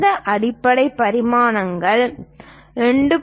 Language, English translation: Tamil, These basic dimensions 2